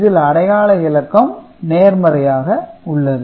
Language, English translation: Tamil, So, this is the positive number